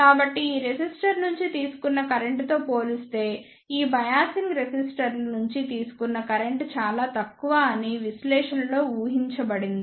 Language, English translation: Telugu, So, it is assumed in the analysis that the current drawn by these biasing resistors is negligible as compared to the current drawn by this resistor